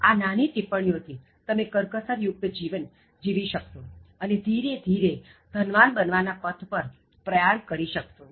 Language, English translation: Gujarati, By these small simple tips, you will be able to live a thrifty life and then slowly move towards the path of becoming rich